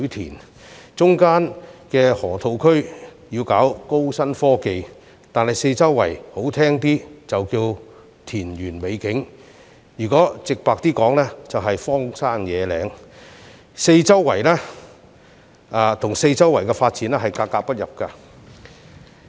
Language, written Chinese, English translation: Cantonese, 當局要在中間的河套區搞高新科技，但四周環境說得好聽一點是田園美景，直白而言卻是荒山野嶺，跟四周的發展格格不入。, The authorities are planning to engage in high - tech development in the Loop which lies in the middle but the surrounding environment is totally incompatible with the planned development when this place to put it more nicely of beautiful rural scenery is frankly speaking just a large piece of wild and barren land